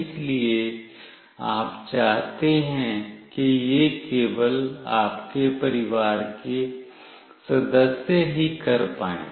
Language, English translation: Hindi, So, you want it to be done only by your family members